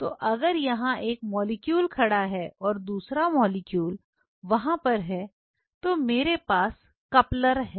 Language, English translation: Hindi, So, if this is one molecule standing here another one molecule standing here I have couplers